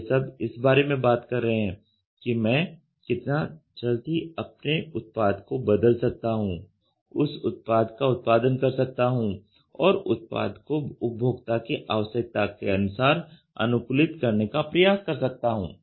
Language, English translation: Hindi, This is all talking about how quickly I can change my product, produce a product, and try to customize the product to their requirement